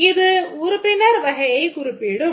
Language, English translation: Tamil, So, that denotes the member category of users